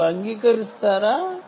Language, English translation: Telugu, would you agree